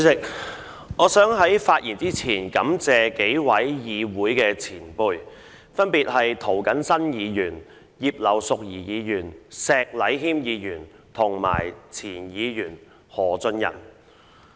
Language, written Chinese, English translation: Cantonese, 主席，我想在進一步發言前感謝數位議會的前輩，分別是涂謹申議員、葉劉淑儀議員、石禮謙議員及前議員何俊仁。, President before I speak any further I would like to first thank a few senior Members of the Council . They are namely Mr James TO Mrs Regina IP Mr Abraham SHEK and former Member Mr Albert HO